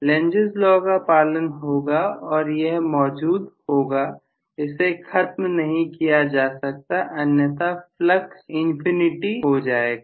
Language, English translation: Hindi, Lenz’s law has to exist, it has it cannot be defined so otherwise the flux will literally go to infinity